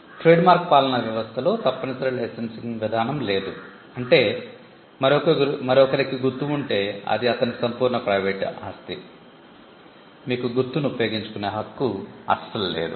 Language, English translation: Telugu, The trademark regime does not have a compulsory licensing mechanism meaning which if somebody else has a mark it is his absolute private property; you get no right to use the mark